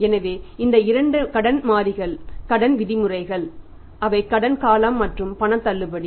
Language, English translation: Tamil, so, these are the two credit variables a Credit terms that is the credit period and the cash discount